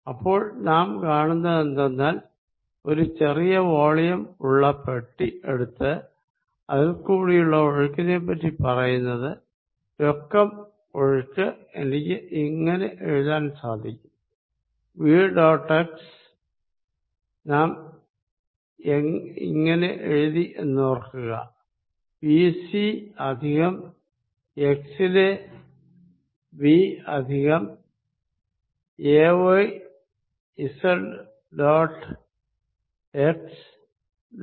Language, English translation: Malayalam, So, what we found is that if I take a small box a very small volume and talk about this fluid flow through this, then the net flow with now I am going to write as v dot x and we had written remember b c plus v at x plus a y z dot x d c